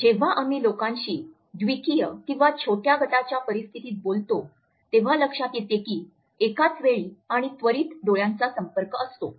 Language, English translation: Marathi, Whenever we talk to people either in a dyadic situation or in a small group situation, we find that simultaneous and immediate eye contact is normally there